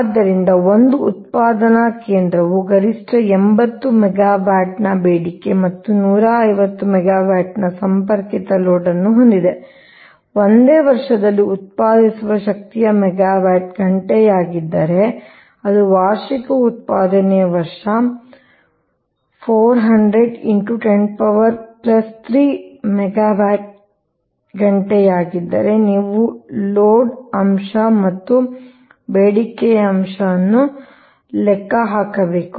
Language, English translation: Kannada, so a generating station has a maximum demand of eighty megawatt and a connected load of one fifty megawatt, right, if megawatt hour, that is energy generated in a year is that is, annual energy generation year is four hundred into ten to the power three a megawatt hour